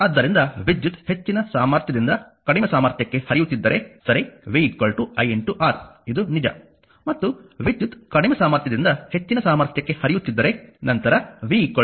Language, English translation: Kannada, So, in therefore, your this if current flows from a higher potential to lower potential, right v is equal to iR it is true and if current flows from a lower potential to higher potential, then v is equal to minus R